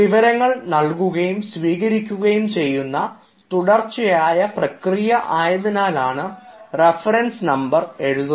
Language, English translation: Malayalam, now the reference number is to be given because you know it is a continuous process of sending and receiving information